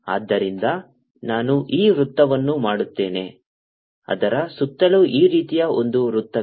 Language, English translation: Kannada, so i will make this circle is one circle like this